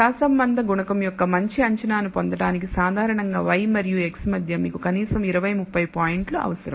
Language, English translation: Telugu, Typically in order to get a good estimate of the correlation coefficient between y and x you need at least 20 30 points